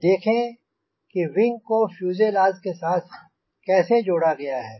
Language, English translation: Hindi, now we will see how this wing is attached to the fuselage